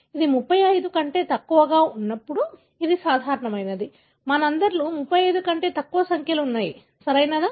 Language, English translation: Telugu, When it is less than 35, it is normal; all of us have less than 35 number, right